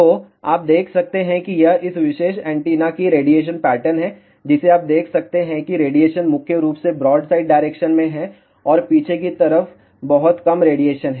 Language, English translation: Hindi, So, you can see this is the radiation pattern of this particular antenna you can see that radiation is mainly in the broadside direction and there is a very little radiation in the back side